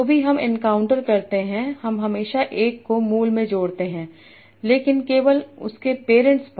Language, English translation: Hindi, Whatever I encounter, I always add one to the root, but only to its parents